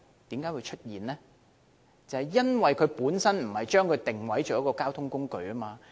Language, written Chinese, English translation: Cantonese, 便是因為政府不把單車定位為交通工具。, It is because the Government did not position bicycles as a mode of transport